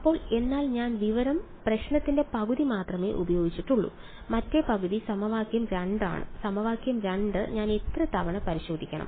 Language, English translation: Malayalam, So, then, but I have used only half the information problem the other half is equation 2; equation 2 how many times should I test